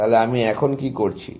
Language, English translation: Bengali, So, what am I doing now